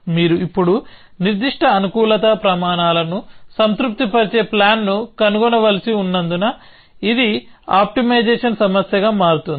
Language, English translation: Telugu, Then it becomes a optimization problem because you have to now find a plan, which satisfies certain optimality criteria